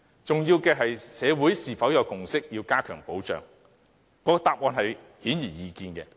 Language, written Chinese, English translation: Cantonese, 重要的是社會是否有共識要加強保障，答案顯而易見。, As regards the important question of whether or not there is consensus in society for enhanced protection the answer is obvious